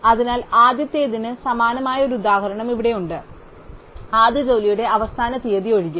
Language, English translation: Malayalam, So, here we have a very similar example to the first one, except that the deadline of the first job which now 2